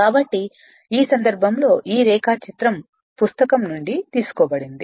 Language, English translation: Telugu, So, in this case this this this diagram I have taken from a book right